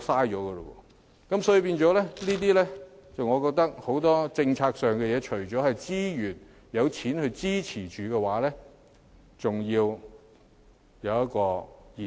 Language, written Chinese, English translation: Cantonese, 因此，我認為很多政策事宜除了要有資源和撥款支持外，還要得以延續。, Hence I consider that for many policy issues apart from resources and funding support continuity is also required